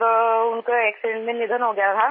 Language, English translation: Hindi, He died in an accident